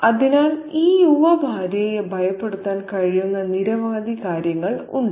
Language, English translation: Malayalam, So, there is a range of things that can frighten this young wife